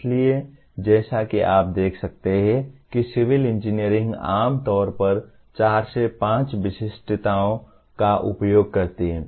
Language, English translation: Hindi, So as you can see civil engineering generally uses something like four to five specialties